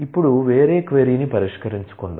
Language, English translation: Telugu, Now, let us address a different question